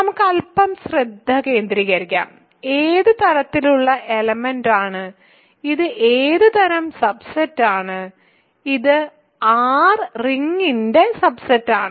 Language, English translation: Malayalam, So, let us focus a little bit on what kind of element, what kind of subset this is, this is a subset of R right